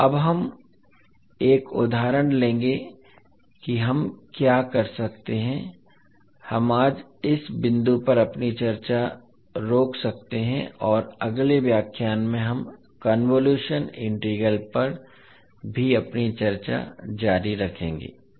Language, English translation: Hindi, So now we will take one example so what we can do, we can stop our discussion today at this point and we will continue our discussion on convolution integral in the next lecture also